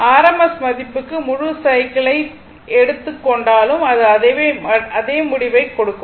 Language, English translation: Tamil, Even you take the full cycle for r m s value, it will give the same result